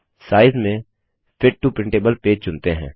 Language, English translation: Hindi, And under Size, lets select Fit to printable page